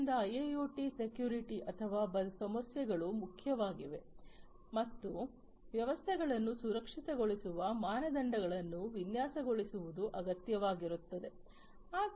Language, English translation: Kannada, So, for industrial internet IIoT securities security issues are important and securing the standards for securing the systems are required to be designed